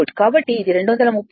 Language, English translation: Telugu, So, it will be 230 into 0